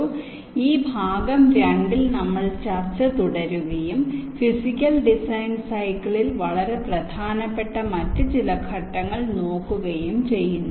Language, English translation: Malayalam, so in this part two we continued discussion and look at some of the other steps which are also very important in the physical design cycle